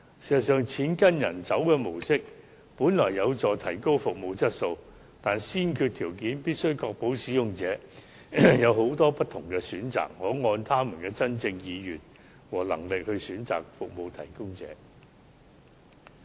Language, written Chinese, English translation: Cantonese, 事實上，"錢跟病人走"的模式本來有助提高服務質素，但先決條件是必須確保使用者有許多不同選擇，可按他們真正的意願和能力選擇服務提供者。, In fact the initial design of the money follows patients mode is to help improve service quality . But as the prerequisite it must be ensured that users are provided with various options and may choose their service providers based on their true will and financial abilities